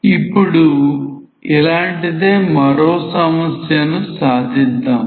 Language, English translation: Telugu, Let us see another similar type of problem